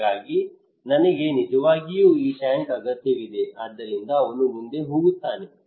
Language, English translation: Kannada, So I really need this tank so he would go ahead